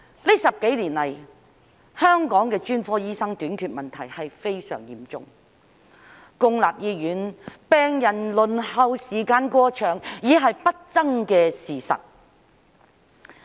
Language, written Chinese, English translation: Cantonese, 近10多年來，香港的專科醫生短缺問題非常嚴重，公立醫院病人輪候時間過長已是不爭的事實。, In the past decade or so the shortage of specialist doctors in Hong Kong has been very serious and it is an indisputable fact that the waiting time for patients in public hospitals is excessively long